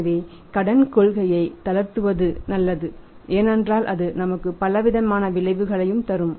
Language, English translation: Tamil, So, it is better to go for relaxing the credit policy because multifarious effects will give it to us